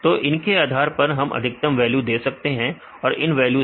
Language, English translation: Hindi, So, based on these we can give the maximum value provided from all these 3 values right